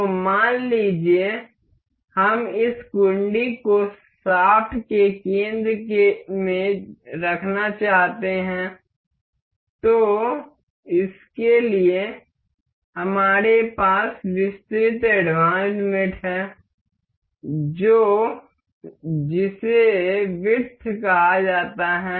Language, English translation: Hindi, So, suppose, we wish to have this latch in the center of the shaft, to have this we have the mate advanced mate called width